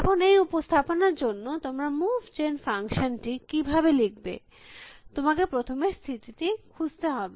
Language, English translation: Bengali, Now, how would you write a move gen function for this representation, you would have to first search the state